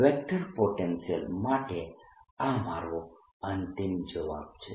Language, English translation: Gujarati, this is my final answer for the vector potential